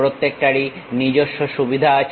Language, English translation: Bengali, Each one has its own advantages